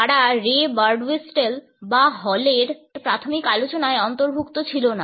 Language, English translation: Bengali, They were not included in the initial discussions of Ray Birdwhistell or Hall etcetera